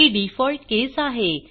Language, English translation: Marathi, This is the default case